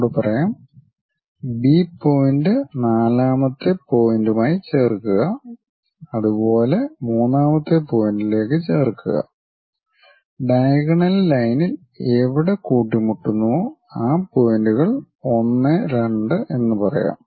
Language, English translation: Malayalam, I repeat, so, join B to that fourth point similarly join B to third point wherever it is going to intersect the diagonal call those points 1 and 2